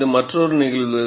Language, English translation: Tamil, This is another phenomena